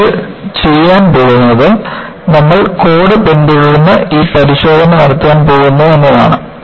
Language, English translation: Malayalam, So, what you are going to do is, you are going to follow the code and perform this test